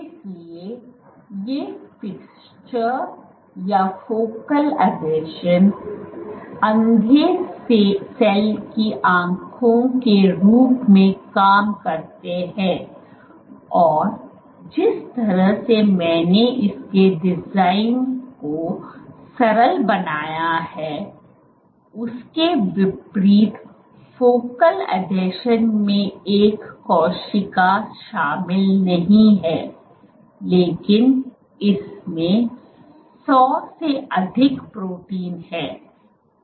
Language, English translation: Hindi, So, these fixtures or focal adhesions, serve as the eyes of the blind cell and unlike the simply the way I simplified its design the focal adhesion does not comprise of one cell it has greater than 100 proteins